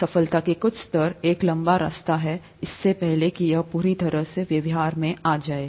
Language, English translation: Hindi, Some level of success, it's a long way before it becomes completely viable and so on